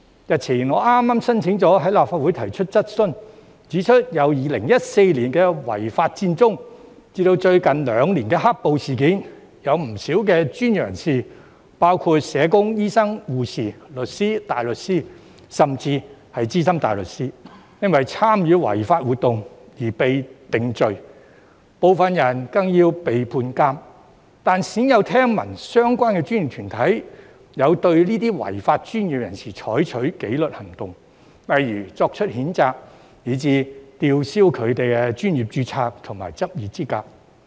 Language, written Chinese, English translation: Cantonese, 日前，我剛申請了在立法會提出質詢，指出由2014年的違法佔中以至最近兩年的"黑暴"事件，有不少專業人士——包括社工、醫生、護士、律師、大律師，甚至是資深大律師——因為參與違法活動而被定罪，部分人更要被判監，但鮮有聽聞相關專業團體有對這些違法的專業人士採取紀律行動，例如作出譴責，以至吊銷他們的專業註冊和執業資格。, The other day I gave notice of a question to be asked in the Council which points out that from the unlawful Occupy Central in 2014 to the black - clad violence incidents over the past two years a lot of professionals―including social workers doctors nurses solicitors barristers and even SC―were convicted of participating in unlawful activities and some of them were even sentenced to imprisonment . However rarely have we heard that the related professional bodies have taken any disciplinary action against these law - breaking professionals such as making reprimands or revoking their professional registration or practising licenses